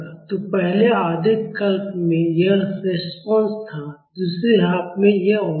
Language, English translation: Hindi, So, in the first half cycle the response was this, and in the second half cycle it is this